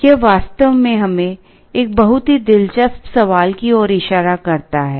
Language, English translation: Hindi, This actually points us to a very interesting question